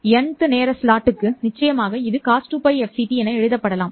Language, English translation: Tamil, For the nth time slot, of course, this can be written as COS 2 pi f c t